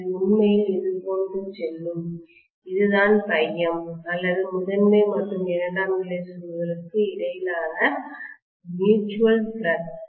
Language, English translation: Tamil, It was actually going like this, this is what was phi m or the mutual flux between the primary and secondary coils